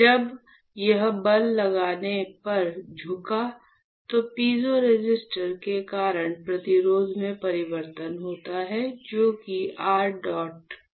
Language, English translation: Hindi, When it bends on applying a force what will happen; there is a change in resistance because of the piezo resistor, which is your PEDOT PSS right